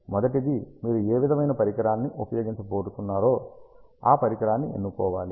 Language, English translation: Telugu, First one is you should choose the Device which kind of device you are going to use